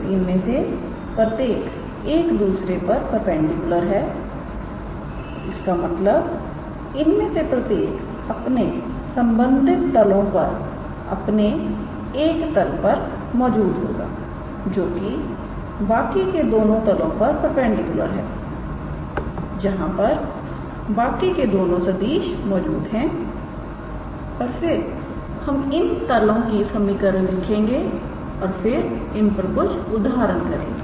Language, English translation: Hindi, So, each one of them are perpendicular to one another so; that means, the each one of them will lie in one plane in their respective planes perpendicular to the other two planes in which the other two vectors lie and we will write down the equations for those planes and then we will try to work our few examples